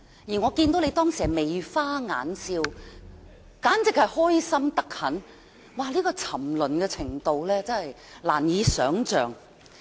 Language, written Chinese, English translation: Cantonese, 而我當時看到你眉花眼笑，十分興奮，沉淪的程度真是難以想象。, I also saw you grinning from ear to ear beaming in excitement at that time . Such kind of debasement is hardly imaginable